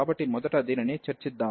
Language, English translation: Telugu, So, let us just discuss this one first